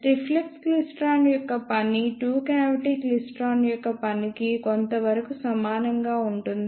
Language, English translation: Telugu, The the working of reflex klystron is somewhat similar to the working of two cavity klystron